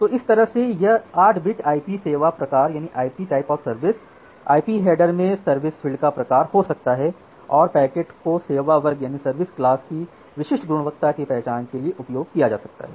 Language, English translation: Hindi, So, that way this 8 bit IP type of service header can be type of service field in the IP header can be utilized to identify or to mark the packet to a specific quality of service class